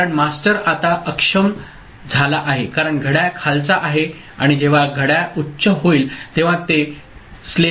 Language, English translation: Marathi, Because the master is now disabled, because clock is low and when clock becomes high slave becomes disabled